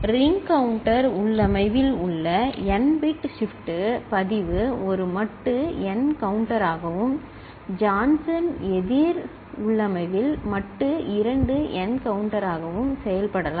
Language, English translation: Tamil, And n bit shift register in ring counter configuration can act as a modulo n counter and in Johnson counter configuration as modulo 2n counter